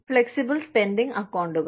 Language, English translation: Malayalam, Flexible spending accounts